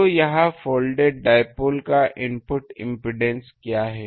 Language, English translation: Hindi, So, the what is the input impedance of the folded dipole